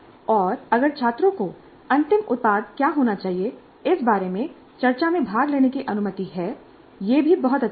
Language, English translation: Hindi, And if students are allowed to participate in the discussion regarding what should be the final product, that is also great